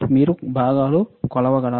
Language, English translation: Telugu, Can you measure the components